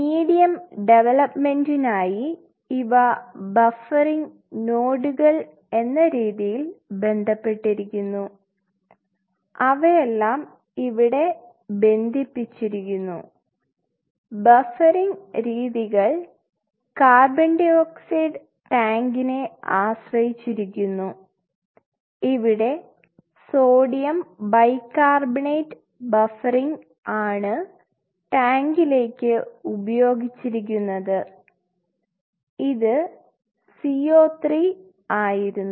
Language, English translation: Malayalam, And that comes as nodes of buffering which is directly linked to this medium development concept they are all linked here, modes of buffering and in that line come dependence to CO 2 tank which here to tank is used using sodium bicarbonate buffering and it was CO 3